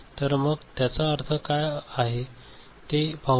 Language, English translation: Marathi, So, let us just look at an example what it means